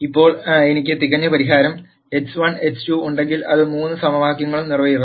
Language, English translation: Malayalam, Now if I had a perfect solution x 1 x 2 which will satisfy all the three equations